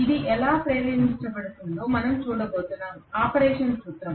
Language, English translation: Telugu, How it gets induced we are going to see, the principle of operation